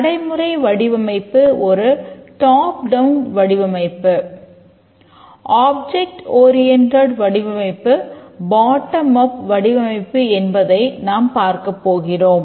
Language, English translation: Tamil, So, the procedural design is a top down design